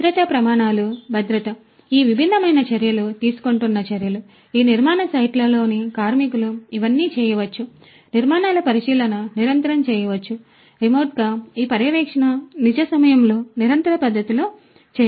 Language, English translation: Telugu, The safety standards the safety, measures that are being taken by these different, workers in these construction sites all of these could be done, inspection of the construction structures could be done continuously, remotely this monitoring could be done in a real time continuous manner